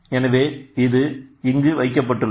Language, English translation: Tamil, So, it is placed here